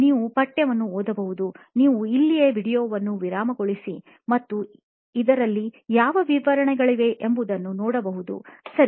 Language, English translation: Kannada, You can read the text, you can pause the video right here and see what details are in this, okay